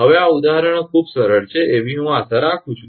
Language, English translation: Gujarati, I hope these examples are easier quite easier now